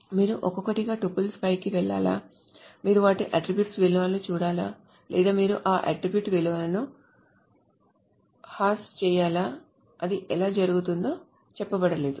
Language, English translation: Telugu, So should you go over the tuples one by one, should you look at their attribute values, or should you hash those attribute values, how it is being done, that is not say